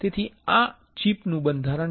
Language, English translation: Gujarati, So, this is the structure of this chip